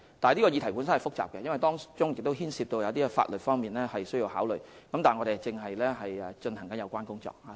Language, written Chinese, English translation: Cantonese, 這項議題是複雜的，因為當中牽涉到一些必須考慮的法律問題，但我們正進行有關工作。, It is a complicated matter as it involves certain legal issues that must be taken into account but we are working on it